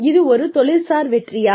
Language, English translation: Tamil, Again, is it occupational success